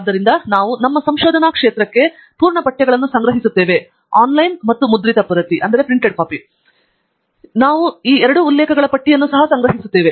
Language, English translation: Kannada, So we will be collecting full texts relevant to our research area both online and hard copy, and we will also be collecting list of references